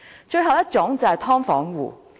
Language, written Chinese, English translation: Cantonese, 最後一種人是"劏房"戶。, The last category is sub - divided unit tenants